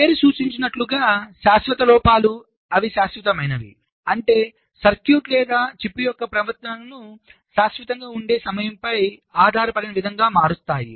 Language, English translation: Telugu, the permanent faults: as the name implies, they are permanent means they change the behaviour of a circuit or a chip in a way which is not dependent on time, which is permanent